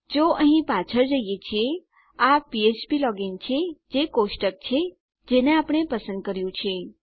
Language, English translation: Gujarati, If we go back to here, this is it php login is our table that we have selected